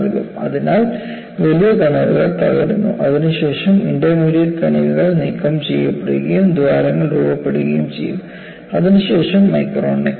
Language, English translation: Malayalam, So, the large particles break, followed by intermediate particles getting removed and forming holes, which is followed by micro necking